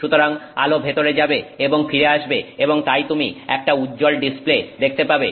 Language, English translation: Bengali, So, light goes in and comes back and so you see a bright display